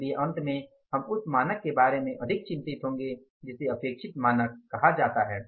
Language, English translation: Hindi, So, finally we will be more concerned about this standard which is called as the expected standards